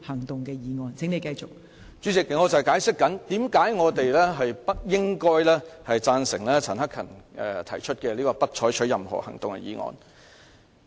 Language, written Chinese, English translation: Cantonese, 代理主席，我正在解釋為何議員不應支持陳克勤議員提出的"不得就譴責議案再採取任何行動"的議案。, Deputy President I am now explaining why Members should not support Mr CHAN Hak - kans motion that no further action shall be taken on the censure motion